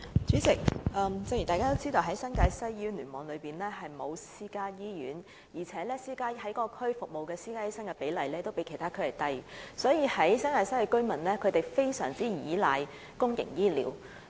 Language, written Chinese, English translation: Cantonese, 主席，正如大家也知道，新界西聯網並沒有私營醫院，而在該區執業的私家醫生的比例較其他地區低，所以新界西居民非常倚賴公營醫療服務。, President as we all know there is no private hospital in the NTW Cluster and the ratio of private doctors practising in NTW is lower than those of the other districts and that is why NTW residents rely heavily on public health care services